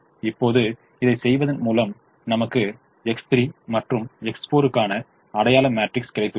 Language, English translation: Tamil, now by doing this i have got an identity matrix for x three and x four